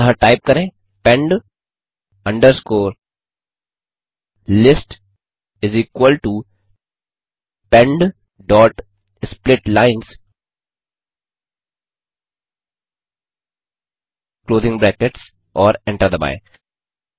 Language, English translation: Hindi, So type pend underscore list is equal to pend dot split lines closing brackets and hit Enter